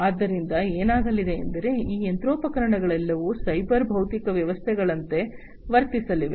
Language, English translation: Kannada, So, what is going to happen, these machineries are all going to behave as cyber physical systems